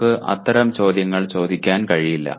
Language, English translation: Malayalam, We cannot ask questions like that